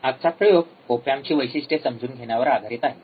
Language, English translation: Marathi, Today’s experiment is on understanding the characteristics of op amp